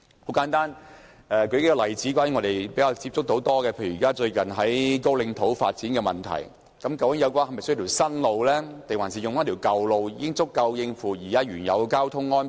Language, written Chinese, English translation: Cantonese, 很簡單，我們較多接觸的，例如有關高嶺土的發展，究竟那裏是否需要興建一條新路，還是舊路已經足夠應付現時的交通量？, For instance with the proposal to develop Kaoline Mine Site is there a need to build a new road or is the old road already adequate for bearing the current traffic load in the area?